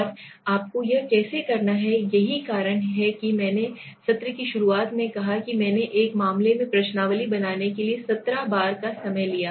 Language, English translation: Hindi, And how you have to do it that is why I said in the beginning of the session that I sometimes takes 17, I took 17 times to make a questionnaire in one of the cases